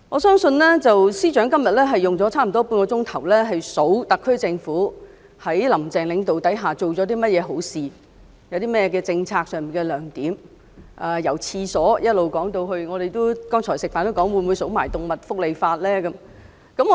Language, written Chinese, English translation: Cantonese, 司長今天花了半小時列舉特區政府在"林鄭"領導下做了甚麼好事、政策上有何亮點，包括公廁的改善——我們剛才午飯時還猜測司長會否連動物福利法也一併列舉。, Today the Chief Secretary for Administration has spent half an hour setting out the good deeds and merits of the policies implemented by the SAR Government under the leadership of Carrie LAM which include the improvement of public toilets―during our lunch earlier we wondered if the Chief Secretary would also include animal welfare in his list